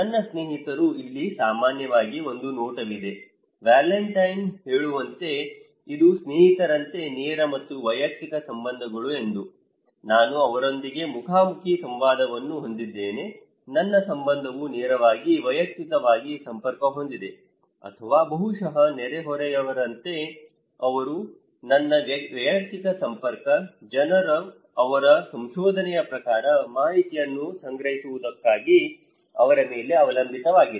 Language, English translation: Kannada, My friends; here is a look generally, like Valentin is saying that it is the direct and the personal relationships like friends, I have face to face interaction with them, my relationship is direct personally connected or maybe like neighbours, they are also my personal connector, people depends on them for collecting informations, according to his finding